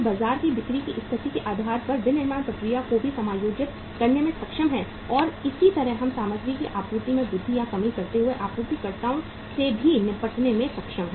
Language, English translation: Hindi, We are able to adjust the manufacturing process also depending upon the sales conditions in the market and similarly we are able to deal with the suppliers also while increasing or decreasing of the supply of the material